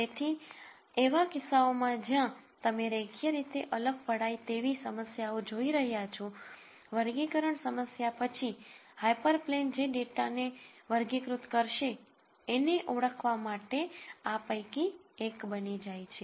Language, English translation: Gujarati, So, in cases where you are looking at linearly separable problems the classification problem then becomes one of identifying the hyper plane that would classify the data